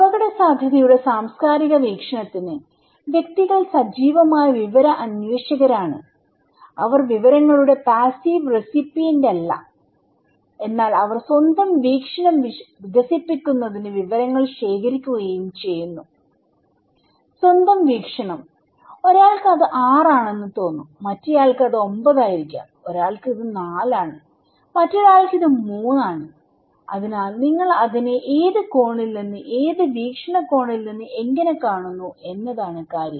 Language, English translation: Malayalam, For the cultural perspective of risk, individuals are active information seeker, they are not the passive recipient of information but they also collect informations to develop their own perception, own perspective okay, like you can see for someone it is 6, for someone it is 9, for someone it is 4, someone it is 3, so how you are looking at it from which angle, from which perspective, it matters